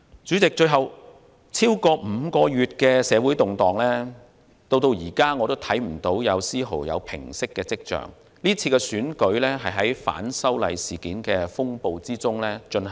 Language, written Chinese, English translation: Cantonese, 主席，最後，超過5個月的社會動盪，至今仍看不見有絲毫平息的跡象，今次選舉是在反修例事件的風暴中進行。, Finally President more than five months of social turmoil has not shown any signs of abating and the DC Election this year will be held amid the storm of the opposition against the proposed legislative amendments